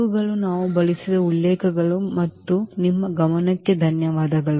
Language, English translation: Kannada, So, these are the references we have used and thank you for your attention